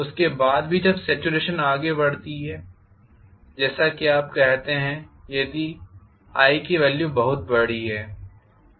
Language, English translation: Hindi, After that also once the saturation creeps in, as you say if the i value is very large